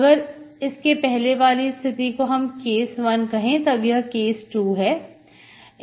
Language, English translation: Hindi, So you can think this as case one and you have a case 2